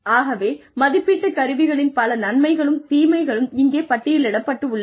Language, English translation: Tamil, So, various advantages and disadvantages of appraisal tools, are listed here